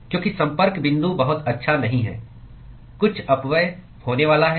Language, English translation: Hindi, Because the contact point is not significantly good, there is going to be some dissipation